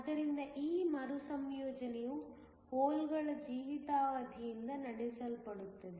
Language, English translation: Kannada, So, this recombination is driven by the lifetime of the holes